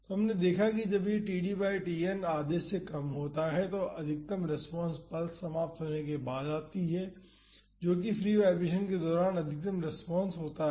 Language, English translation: Hindi, So, we have seen that when this td by Tn is less than half, the maximum response occurs after the pulse ends that is the maximum response is during the free vibration